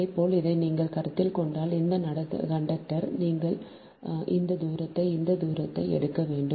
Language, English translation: Tamil, similarly, if you consider this, this conductor also, then you have to take this distance and this distance if you consider this one, this one, this one